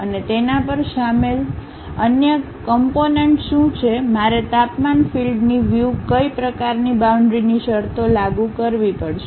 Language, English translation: Gujarati, And what are the other components involved on that, what kind of boundary conditions in terms of temperature field I have to apply